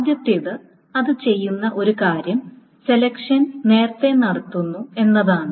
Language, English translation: Malayalam, Is that first thing, one of the things it does is that selections are performed early